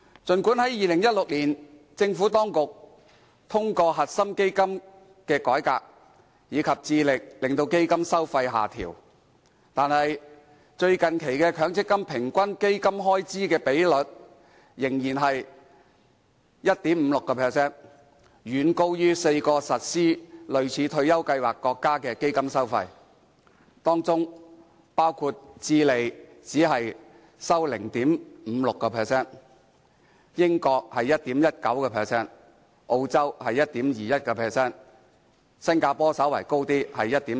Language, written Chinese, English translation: Cantonese, 儘管政府當局在2016年通過"核心基金"改革，並致力令基金收費下調，但最近期的強積金平均基金開支比率仍是 1.56%， 遠高於4個實施類似退休計劃國家的基金收費，當中包括智利為 0.56%、英國為 1.19%、澳洲為 1.21%， 而新加坡則稍高，為 1.4%。, Although the Government carried out a reform in 2016 by introducing the core fund and striving to bring down the fees the latest average Fund Expense Ratio FER of MPF funds still stood at 1.56 % much higher than those in four other countries with similar retirement schemes including Chile 0.56 % the United Kingdom 1.19 % Australia 1.21 % and Singapore which has a relatively higher FER of 1.4 %